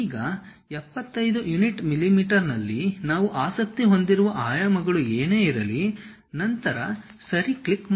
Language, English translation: Kannada, Now, whatever the dimensions we are interested in 75 units mm, then click Ok